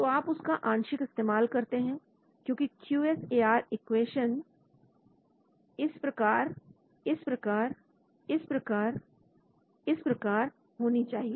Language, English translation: Hindi, So you use a partial so QSAR equation have to be like this like this like this like this